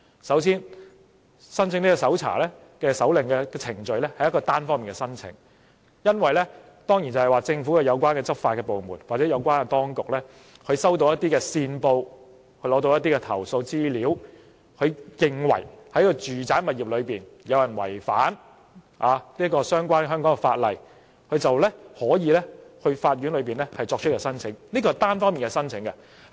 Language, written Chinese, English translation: Cantonese, 首先，申請搜查令的程序是單方面申請的，政府有關執法部門或有關當局收到線報、投訴資料後，認為有人在住宅物業違反相關香港法例，就可以到法院作出申請，這是單方面的申請。, This will prevent situations unwelcomed by the public from happening . First applying for a search warrant is an unilateral procedure . When the enforcement department of the Government or the relevant Bureau receives a lead or information from a compliant and is of the view that someone violates the law in a domestic premises it can go to the court to apply for a search warrant